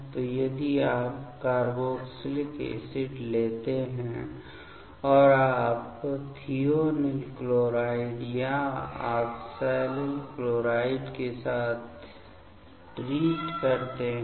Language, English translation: Hindi, So, if you take the carboxylic acids and you treat with thionyl chloride or oxalyl chloride